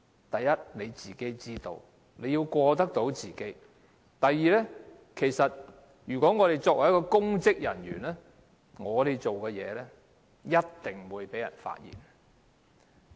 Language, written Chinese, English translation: Cantonese, 第一，要過得到自己那關；第二，作為公職人員，我們所做的事情一定會被人發現。, First we have to be answerable to ourselves . Second as public officers everything we did would certainly be uncovered